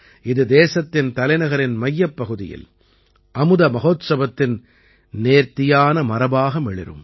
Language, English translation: Tamil, It will remain as a grand legacy of the Amrit Mahotsav in the heart of the country's capital